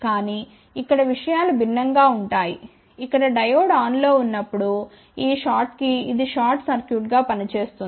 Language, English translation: Telugu, But, here things are different; here when the Diode is on this thing will act as a short circuit